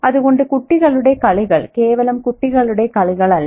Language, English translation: Malayalam, So the children's games are not merely children's games